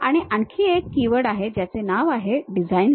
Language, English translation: Marathi, And there is one more keyword name design library